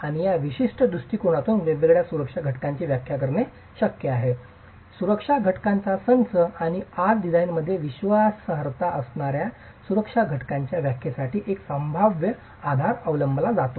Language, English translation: Marathi, And in this particular approach, it's possible to define different safety factors, a set of safety factors and today a probabilistic basis is adopted for the definition of these safety factors bringing in reliability into the design itself